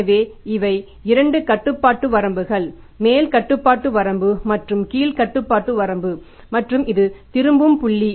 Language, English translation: Tamil, So, these are the two control limits, upper control limit and the lower control limit and this is a return point